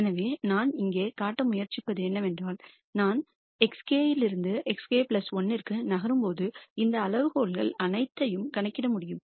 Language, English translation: Tamil, So, what I am trying to show here is that when I am moving from x k to x k plus 1, I could compute all of these quantities